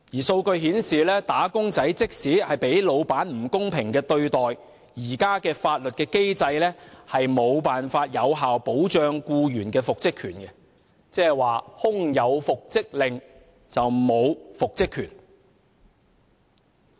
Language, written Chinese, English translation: Cantonese, 數據顯示，"打工仔"即使遭老闆不公平對待，現時的法律機制也無法有效保障僱員的復職權；即是空有復職令，沒有復職權。, The statistics show that even if wage earners are unfairly treated by their bosses the current legal mechanism cannot effectively safeguard the employees right to reinstatement; that is to say even if there is an order for reinstatement there is no right to reinstatement